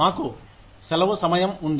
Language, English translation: Telugu, We have a vacation time